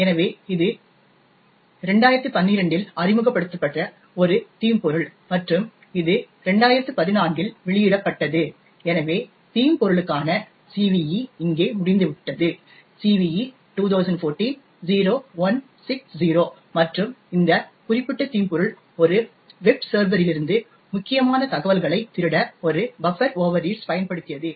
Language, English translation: Tamil, So, it was a malware that was introduced in 2012 and it was disclosed in 2014, so the CVE for the malware is over here, CVE 2014 – 0160 and this particular malware essentially used a buffer overread to steal critical information from a web server